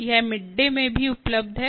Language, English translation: Hindi, its also available in midday